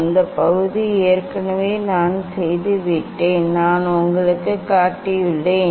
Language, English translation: Tamil, that part already I have done ok, I have showed you